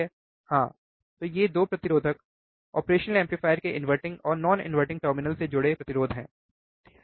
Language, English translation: Hindi, yes so, these 2 resistors are the resistors connected to inverting and non inverting terminal of the operational amplifier, correct